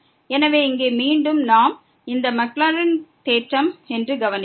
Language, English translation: Tamil, So, here again we note that this is the Maclaurin’s theorem